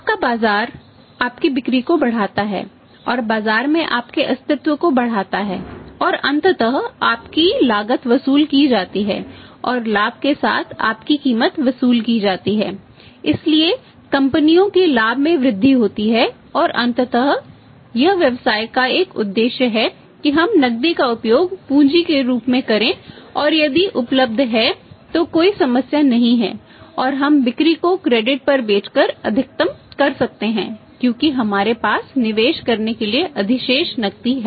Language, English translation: Hindi, Your market increases your sales increase your existence in the market goes up and ultimately your cost is recovered your say price is recovered and recovered with the profit, so companies profit loss increase and ultimately this is a purpose of business that we use the cash as the capital and if that is available then there is no problem and we can maximize the sales by selling on the credit because we have surplus cash to invest